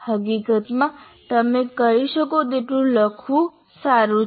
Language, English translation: Gujarati, In fact, it is good to write as much as you can